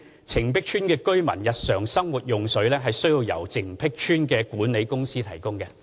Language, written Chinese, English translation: Cantonese, 澄碧邨居民日常生活用水須由澄碧邨管理公司提供。, Its management company is responsible for providing domestic water supply to its residents